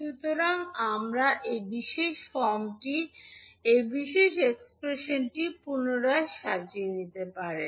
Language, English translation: Bengali, So you can rearrange the this particular expression in this particular form